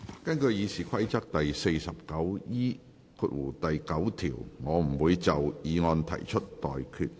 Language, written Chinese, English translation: Cantonese, 根據《議事規則》第 49E9 條，我不會就議案提出待決議題。, In accordance with Rule 49E9 of the Rules of Procedure I will not put any question on the motion